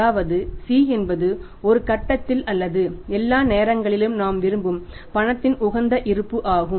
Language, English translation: Tamil, C is the optimum balance of the cash we want to have have at one point of time or all the times